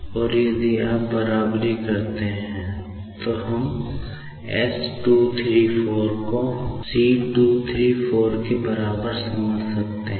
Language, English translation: Hindi, And, if we equate then we can find out s 234 equals to this and c 234 is equals to this